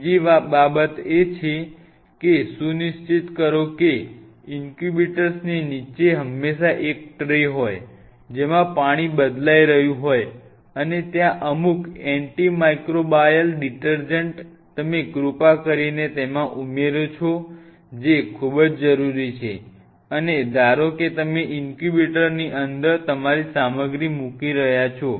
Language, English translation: Gujarati, Second thing please ensure that the there is always a tray underneath the incubator, that water is being changed and there are certain antimicrobial detergents which are present you please add in that ensure that very essential, and suppose you are placing your stuff inside the incubator